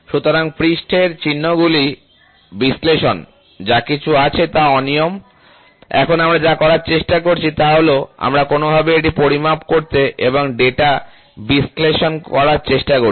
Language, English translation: Bengali, So, analysis of surface traces, so the irregularities whatever is there, now what we are trying to do is, we are trying to somehow measure it and analyze the data, ok, measure and analyze the data